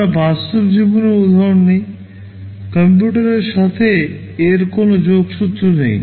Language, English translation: Bengali, We take a real life example, which has nothing to do with computers